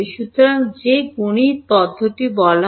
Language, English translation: Bengali, So, what is that mathematically procedure called